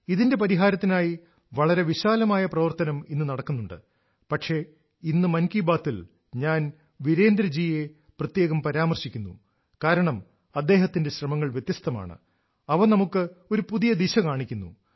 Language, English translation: Malayalam, Work is being done on a massive scale to find the solution to this issue, however, today in Mann Ki Baat, I am especially mentioning Virendra ji because his efforts are different and show a new way forward